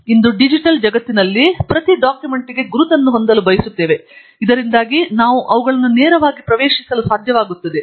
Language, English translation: Kannada, And, today in the digital world, we would like to have an identity for each document such that we will be able to access them directly